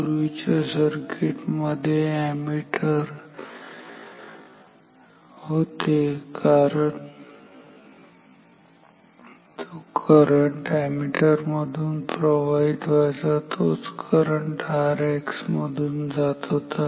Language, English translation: Marathi, In the previous circuit the ammeter was fine because whatever current goes through the ammeter the same current must go through R X